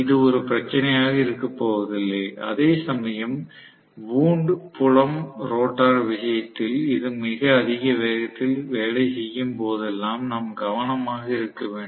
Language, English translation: Tamil, So, it is not is going to be a problem whereas in the case of wound field rotor, we have to be careful whenever it is working at a very high speed